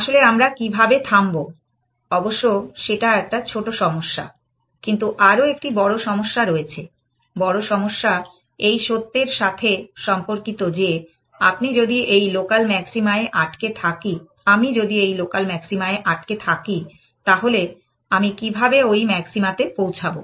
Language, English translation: Bengali, Then how do we stop, that is one small problem, but there is a bigger problem and the bigger problem pertains the fact, that if I am stuck at this local maxima, how do I get to that maxima essentially